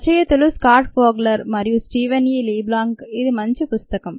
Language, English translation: Telugu, the authors are scott fogler and steven e leblanc